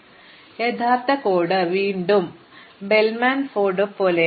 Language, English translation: Malayalam, So, the actual code is again like Bellman Ford extremely straight forward